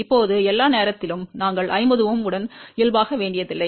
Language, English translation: Tamil, Now, all the time, we do not have to normalize with 50 Ohm